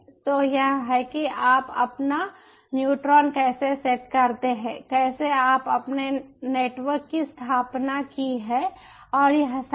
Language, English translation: Hindi, so this, how you set your ah neutron is how you set up your network, and this is all